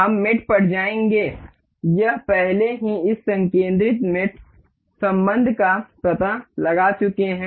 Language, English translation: Hindi, We will go to mate, it it has already detected this concentric relation